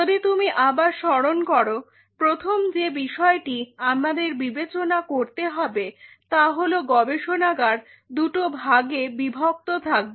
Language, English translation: Bengali, So, one aspect what we have considered is the lab is divided into 2 parts